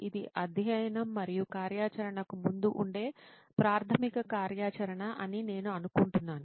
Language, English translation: Telugu, I think this would be the basic activity that would be preceeding the study and activity